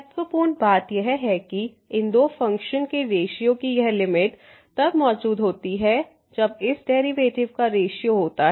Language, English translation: Hindi, The important point was that this limit of the ratio of these two functions exist when the ratio of this derivative of the